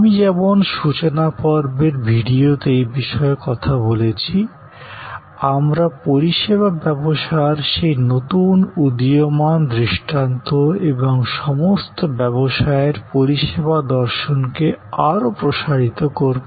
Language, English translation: Bengali, As I have talked about that in the introduction video, we will expand more on that new emerging paradigm of the service logic, service philosophy of all businesses